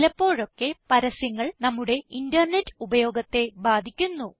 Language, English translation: Malayalam, * Often ads interfere with our internet experience